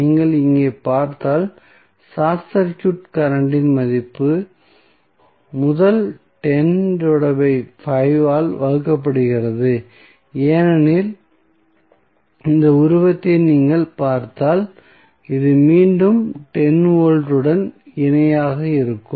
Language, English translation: Tamil, So, if you see here the value of short circuit current is given by first 10 divided by 5 because if you see this figure this is again in parallel with 10 volt